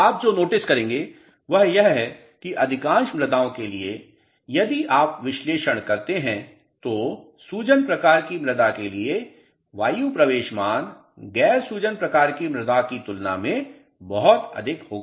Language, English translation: Hindi, What you will notice is that for most of the soils if you analyze the air entry value would be very high for the soils which are swelling type as compared to soils which are non swelling type